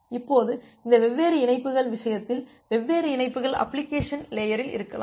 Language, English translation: Tamil, Now, in this case it may happen that different connections, you may have different connections at the application layer